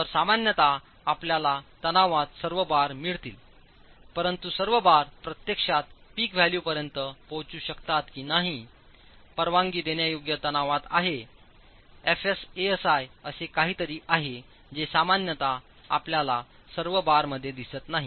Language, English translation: Marathi, So, in this typically you will get all the bars in tension, but whether or not all the bars would actually reach the peak value, the permissible tensile force ASI into FS is something that is typically not seen